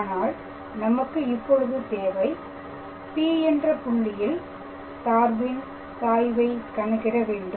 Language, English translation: Tamil, Now, we have to calculate the gradient of the function at the point P